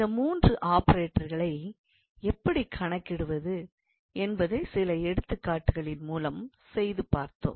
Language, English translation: Tamil, And we also worked out few examples, where we saw how we can calculate these three operators